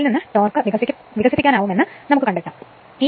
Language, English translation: Malayalam, From that you can find out that torque will be developed right